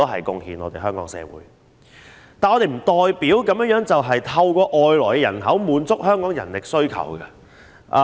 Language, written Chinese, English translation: Cantonese, 但是，這並不代表我們可透過外來人口滿足香港的人力需求。, However this does not mean that Hong Kongs manpower demand can be totally met by inward migration